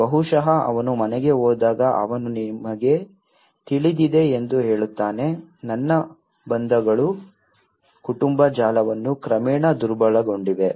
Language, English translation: Kannada, Maybe when he goes house he says that you know, my bonds got weakened the family network and bonds gradually got diminished